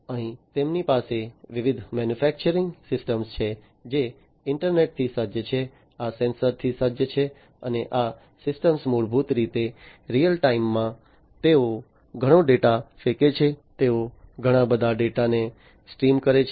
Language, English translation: Gujarati, Here they have different manufacturing systems which are internet equipped, these are sensor equipped and these systems basically in real time they throw in lot of data, they stream in lot of data